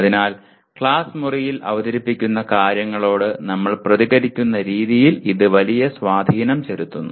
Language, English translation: Malayalam, So this has a major impact on the way we react in a classroom to the things that are presented